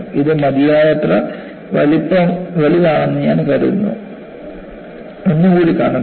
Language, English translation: Malayalam, I think it is reasonably big enough; let me see, one more